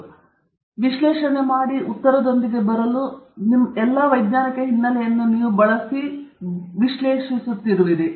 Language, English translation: Kannada, And so, it will be something that you are analyzing, that you are using all your scientific background to analyze and come up with the answer